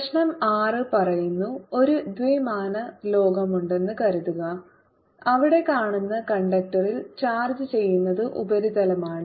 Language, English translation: Malayalam, the six problem says: suppose there is two dimensional world where it is seen that all charge put on the conductor comes with surface